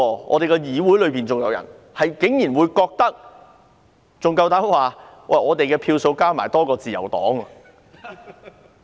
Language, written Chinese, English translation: Cantonese, 我們的議會裏有人不懂得檢討，還膽敢說他們的票數加起來比自由黨多。, Some people in this Council did not know how to conduct a review and even dared say that the total number of votes they got was more than that received by the Liberal Party